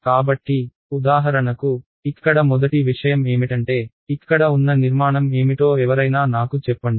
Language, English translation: Telugu, So, for example, the first thing over here, this is can anyone tell me what is this; this structure over here